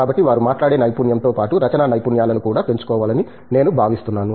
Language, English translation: Telugu, So, I think they should develop their communication skills as well, both speaking skills as well as writing skills